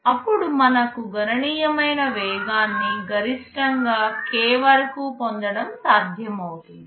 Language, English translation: Telugu, Then it is possible to have very significant speed up, we shall see maximum up to k